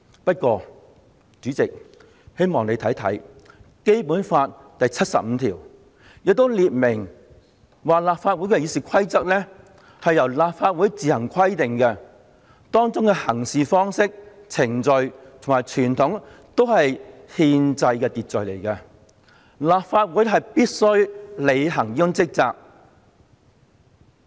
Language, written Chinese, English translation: Cantonese, 不過，主席，我希望你也看看《基本法》第七十五條，當中列明立法會《議事規則》由立法會自行制定，《議事規則》中訂明的行事方式、程序及傳統都是憲制秩序，立法會須按此履行職責。, However President I hope that you can have a look at Article 75 of the Basic Law . It is stipulated that RoP of the Legislative Council shall be made by the Council on its own . The practices procedures and conventions stipulated in RoP are thus part of the constitutional order which the Council should follow while performing its duties